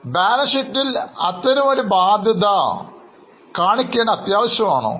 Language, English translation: Malayalam, Is it necessary to show such a liability in the balance sheet